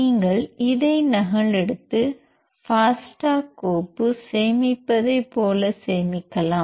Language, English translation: Tamil, You can copy this and save it as the fasta file save as